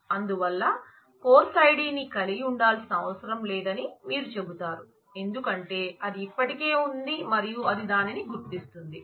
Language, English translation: Telugu, So, you would say that well it is not required to have the course id, since it already has that and it it identifies it